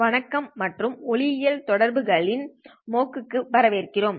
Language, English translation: Tamil, Hello and welcome to the MOOC on optical communications